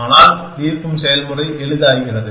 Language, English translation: Tamil, But, the solving process becomes easier